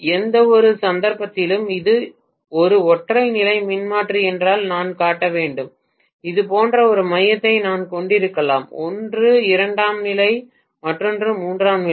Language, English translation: Tamil, In which case I have to show if it is a single phase transformer I may have a core like this, one is secondary, the other one maybe tertiary